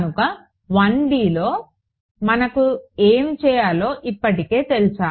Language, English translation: Telugu, So, this we in 1 D we already know what to do